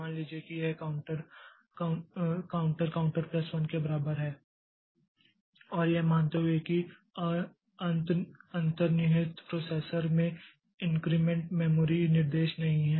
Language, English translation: Hindi, Suppose this counter equal to counter plus one and assuming that the underlying processor it does not have the increment memory instruction